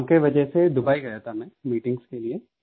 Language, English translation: Hindi, I had gone to Dubai for work; for meetings